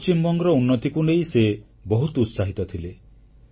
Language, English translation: Odia, He was very passionate about the development of West Bengal